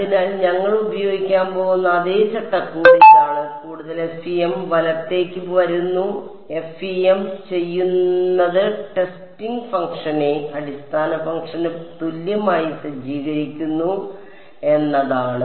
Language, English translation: Malayalam, So, this is the same framework that we are going to use and coming more towards the FEM right; what FEM does is it sets the testing function to be equal to the basis function ok